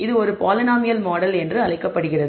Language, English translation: Tamil, This is known as a polynomial model